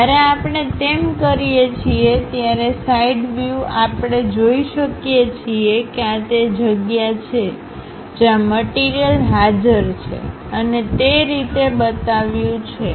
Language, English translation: Gujarati, When we do that, on the side view; we can clearly see that, this is the place where material is present, represented by that